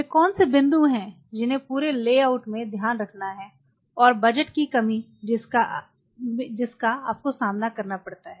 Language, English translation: Hindi, So, what are the points which has to be kind of kept in mind in the whole layout and the budget constraints what you face